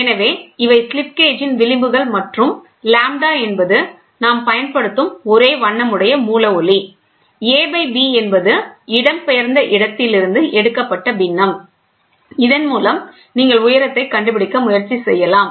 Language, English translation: Tamil, So, these are the fringes on the slip gauge and lambda is the monochromatic source light whatever we use, and a by b is the observed fraction where it is displaced with this you can try to figure out